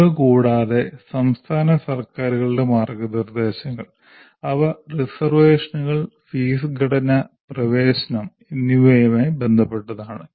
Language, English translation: Malayalam, In addition to this, guidelines of state governments, they are with regard to reservations, fee structure and admissions